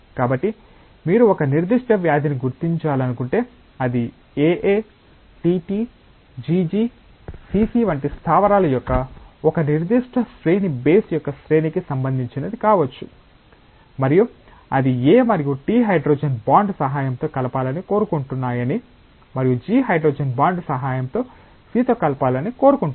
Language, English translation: Telugu, So, if you want to identify a particular disease, it may be related to the sequence of base a particular sequence of bases like A A T T G G C C like that and it is known that A and T want to get combined with the help of hydrogen bond, and G wants to get combined with C with the help of hydrogen bond